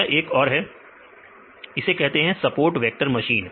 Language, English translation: Hindi, This is another one that is called support vector machines